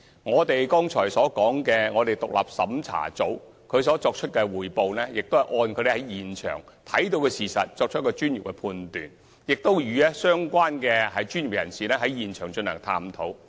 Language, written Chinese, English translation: Cantonese, 我剛才所說的獨立審查組的匯報，是有關人員在現場視察後作出的專業判斷，他們亦曾與相關專業人士在現場進行探討。, The report of ICU which I mentioned earlier contains professional judgment made after an on - site inspection by the relevant staff members . They had also discussed with the relevant professionals on the site